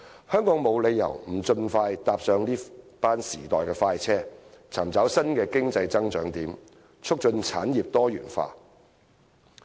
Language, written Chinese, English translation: Cantonese, 香港沒有理由不盡快搭上這趟時代快車，尋找新的經濟增長點，促進產業多元化。, There is no reason why Hong Kong should not quickly jump on this bandwagon to look for new areas of economic growth and promote the diversification of industries